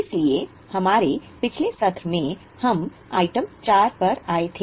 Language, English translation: Hindi, So, in our last session, we had come up to item 4